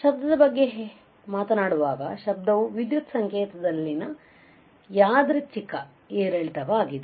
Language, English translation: Kannada, So, noise when you talk about noise it is a random fluctuation in an electrical signal